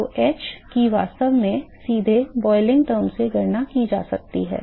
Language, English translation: Hindi, So, h is actually can actually can be directly calculated from the boiling term